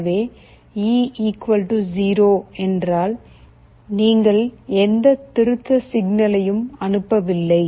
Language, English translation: Tamil, So, if e = 0, then you are not sending any corrective signal